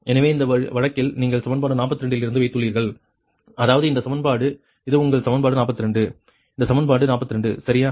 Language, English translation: Tamil, so in this case you have put in from equation forty two that means this equation, this is your equation forty two, this equation forty two, right